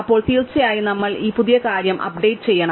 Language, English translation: Malayalam, Then, of course we need to update these new things